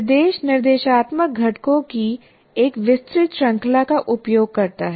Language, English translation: Hindi, And now the instruction uses a wide range of instructional components we mentioned